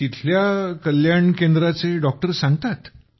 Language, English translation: Marathi, The doctor of the Wellness Center there conveys